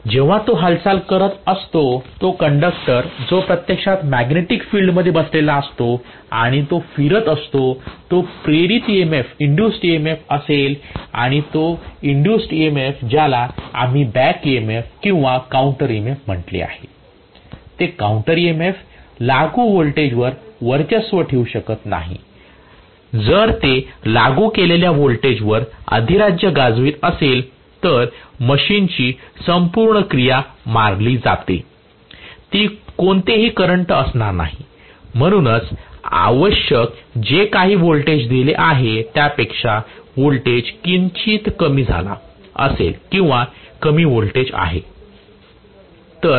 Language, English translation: Marathi, When it is moving, the same conductor which is actually sitting in the magnetic field and it is moving will have an induced EMF and that induced EMF we called as the back EMF or counter EMF, that counter EMF cannot be dominating over the applied voltage, if it is dominating over the applied voltage the entire action of the machine is killed that is it, it is not going to have any current, Right